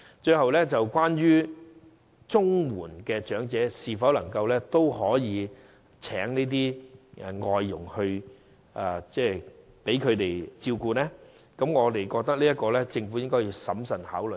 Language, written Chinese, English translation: Cantonese, 最後，領取綜援的長者是否也可聘請外傭來照顧他們，我們認為政府應審慎考慮這點。, Finally as for the question of whether or not elderly recipients of CSSA may employ foreign domestic helpers to take care of them we think the Government should consider this cautiously